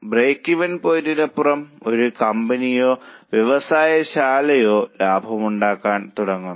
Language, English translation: Malayalam, Beyond break even point, a company or a plant starts making profit